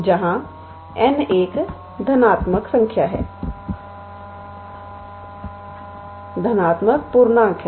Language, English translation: Hindi, where m and n are both positive